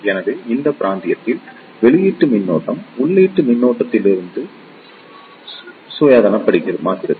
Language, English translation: Tamil, So, in this region, output current becomes independent of the input current